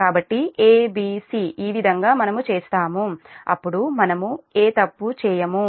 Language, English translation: Telugu, so a, b, c, this way we will do it, then we will not make any mistake